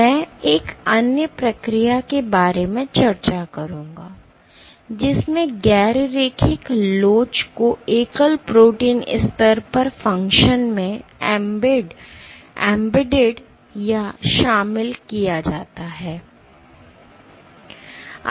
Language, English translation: Hindi, I will discuss about another procedure another way in which non linear elasticity can be embedded or incorporated into the function at the single protein level